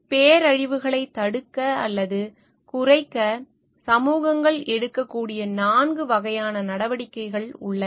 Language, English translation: Tamil, There are four sets of measures communities can take to avert or mitigate disasters